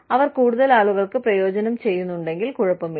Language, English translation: Malayalam, If they are benefiting, a larger number of people, then, it is okay